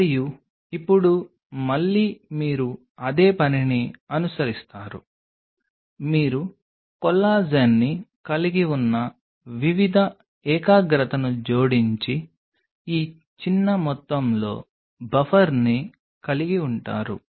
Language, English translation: Telugu, And now again you follow the same thing you create add different concentration you have the collagen already getting there and along with this small amount of buffer